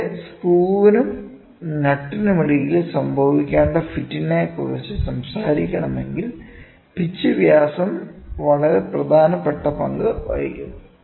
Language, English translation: Malayalam, And, here if we want to talk about the fit, which has to happen between the screw and nut then pitch diameter plays a very very import role